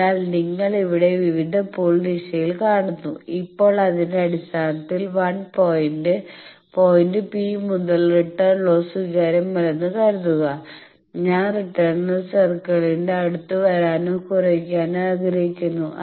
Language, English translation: Malayalam, So, you see various pool directions here Now, based on that the point is that from 1 point P, suppose that returned loss is not acceptable I want to come closer or lower return loss circle